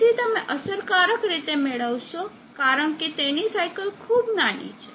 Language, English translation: Gujarati, So you will effectively get because it would cycle is very low